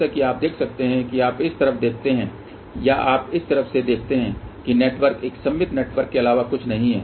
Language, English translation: Hindi, As you can see if you look on this side or you look from this side the network is nothing but a symmetrical network